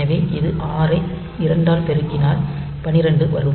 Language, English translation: Tamil, So, it is 6 multiplied by 2 12